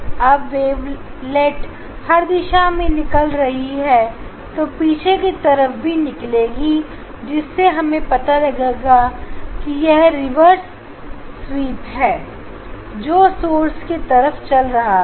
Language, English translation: Hindi, emits wavelets in all directions in backward also there should be the then there should be the wave reverse wave travelling towards the source